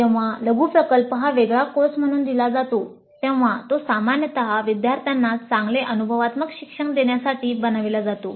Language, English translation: Marathi, Now when mini project is offered a separate course, it is generally designed to provide good experiential learning to the students